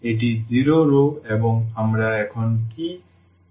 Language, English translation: Bengali, This is the 0 rows and what we conclude now